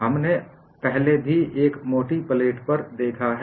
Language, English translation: Hindi, We have also looked at, earlier, a thick plate